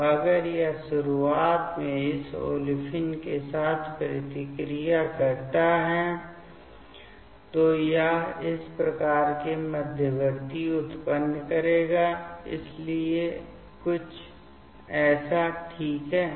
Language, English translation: Hindi, So, if it reacts with this olefine initially it will generate this type of intermediate so something like this ok